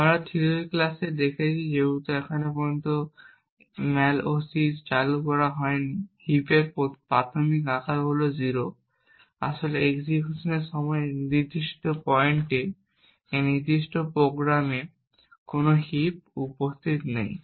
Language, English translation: Bengali, As we have seen in the theory classes since the malloc has not been invoked as yet, the initial size of the heap is 0, in fact there is no heap present in this particular program at this particular point during the execution